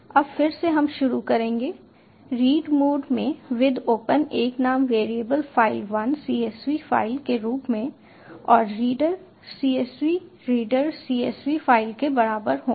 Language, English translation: Hindi, now again, we go on with with open in a name variable file, one in read mode as csv file and reader equal to csv reader, csv file